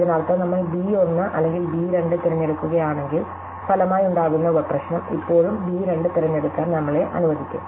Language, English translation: Malayalam, This means that whether we choose b 1 or b 2 the resulting sub problem would still allows to choose b 2